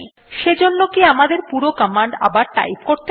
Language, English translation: Bengali, Do we have to type the entire command again